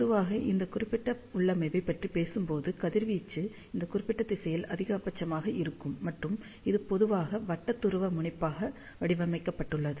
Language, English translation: Tamil, And generally speaking for this particular configuration, radiation is maximum in this particular direction, and it is generally designed for circular polarization